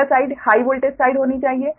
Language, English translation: Hindi, this should be low voltage side